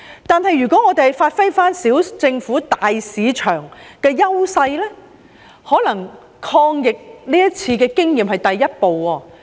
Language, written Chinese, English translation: Cantonese, 但是，我們可發揮"小政府，大市場"的優勢，這次的抗疫經驗或許是第一步。, Yet we can capitalize on the advantage of small government big market . We may take this anti - epidemic experience as the first step